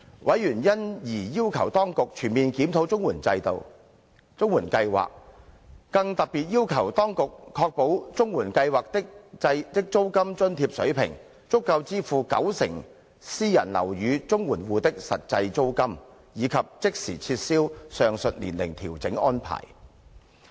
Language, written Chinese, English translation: Cantonese, 委員因而要求當局全面檢討綜援計劃，更特別要求當局確保綜援計劃的租金津貼水平，足夠支付九成私人樓宇綜援戶的實際租金，以及即時撤銷上述年齡調整安排。, The Administration was therefore requested to conduct a comprehensive review of the CSSA Scheme . Specifically the Administration was requested to ensure that the level of the rent allowance under the CSSA Scheme could cover the actual rent paid by 90 % of CSSA households living in private housing and to immediately remove the age adjustment arrangement